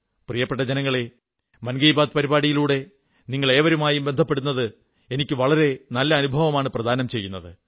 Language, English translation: Malayalam, My dear countrymen, connecting with all of you, courtesy the 'Mann KiBaat' program has been a really wonderful experience for me